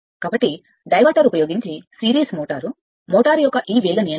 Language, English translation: Telugu, So, this speed control of a series motor, motor using diverter